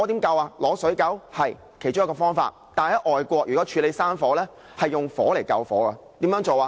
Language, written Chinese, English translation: Cantonese, 對，這是其中一個方法，但在外國如要處理山火，是利用火來救火，怎樣做呢？, Yes this is one of the firefighting tactics . But in overseas countries they will use fire to fight fire . How?